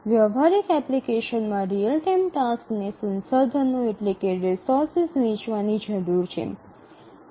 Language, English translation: Gujarati, In a practical application, the real time tasks need to share resources